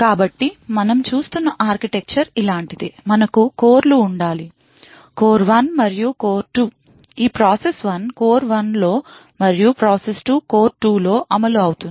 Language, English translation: Telugu, So the architecture we are looking at is something like this, we have to cores; core 1 and core 2, the process is executing in core 1 and process two is executed in core 2